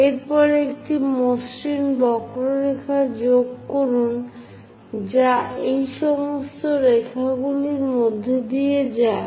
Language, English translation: Bengali, And after that join a smooth curve which pass through all these lines